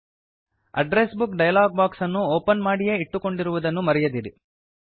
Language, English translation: Kannada, Remember, you must keep the Address Book dialog box open